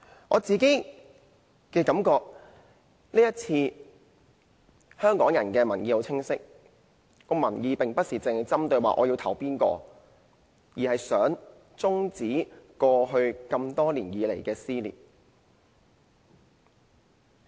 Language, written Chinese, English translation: Cantonese, 我個人的感覺是，在這次選舉中，香港人的民意十分清晰，民意不是指要投票給哪個候選人，而是想終止過去多年來的撕裂。, Personally I think Hong Kong people have made themselves very clear in this election . By that I do not mean the voting preference for any particular candidate but the wish to end the dissention within society that has been prevailing over the years